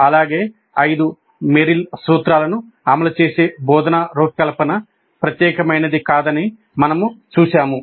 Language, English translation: Telugu, And we saw that the instruction design which implements all the five Merrill's principles is not unique